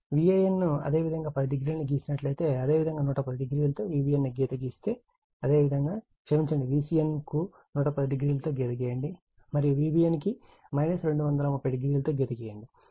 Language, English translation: Telugu, So, V a n if you got 10 degree, and with respect to that if you draw the reference V b n in 110 degree, because it is your what we call sorry V c n is given 110 degree, and V b n is minus 230 degree